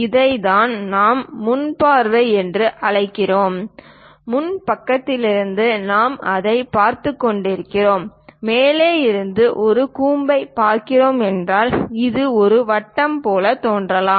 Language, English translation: Tamil, This is what we call front view; from front side, we are looking it, and if we are looking a cone from top, it might look like a circle